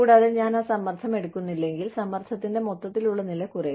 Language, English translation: Malayalam, And, if I do not take on that stress, the overall level of stress, comes down